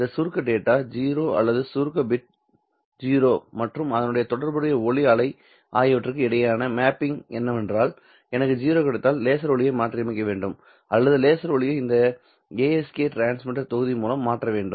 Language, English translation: Tamil, The mapping between that abstract data 0 or the abstract bit 0 and the corresponding light wave is that if I get a 0 then the laser light should be modulated or the laser light should be changed in such a way by this ASK transmitter block in such a way that it produces a signal which has a peak power of zero light wave